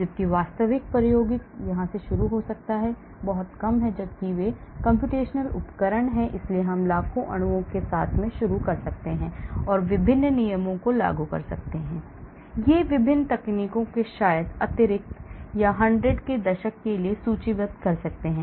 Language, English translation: Hindi, whereas real experimental may start from here, much lower, whereas these are computational tools so we can start with millions of molecules and apply different rules, different techniques to shortlist maybe 1000s or 100s